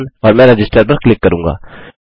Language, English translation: Hindi, And I will click Register